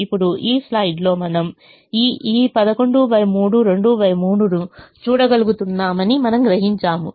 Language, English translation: Telugu, now you realize that in this slide we are able to see this: eleven by three, two to by three